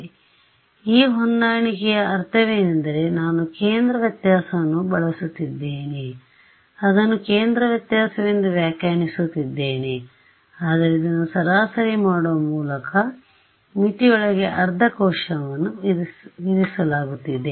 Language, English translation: Kannada, So, that is the meaning of this compromise I am using a centre difference I am interpreting it as a centre difference, but it is being by doing this averaging it is being imposed half a cell inside the boundary